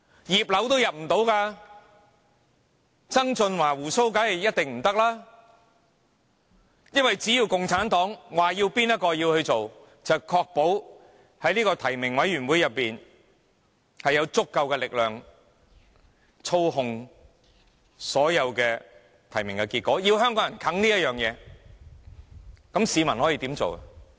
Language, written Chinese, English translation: Cantonese, "葉劉"都無法入閘，曾俊華當然一定不可以，因為只要共產黨表示由何人擔任行政長官，便確保在提名委員會中有足夠力量操控所有提名結果，要香港人硬吃這回事，市民可以怎樣做呢？, Regina IP would not be eligible to stand for election nor would John TSANG . This is because the Communist Party of China would make sure that there is sufficient force in the nominating committee to control the nomination results once it has decided who should be the Chief Executive forcing Hong Kong people to accept the result